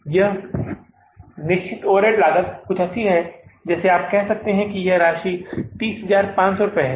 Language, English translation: Hindi, This fixed overall cost is something like you can say that this amount is 30,500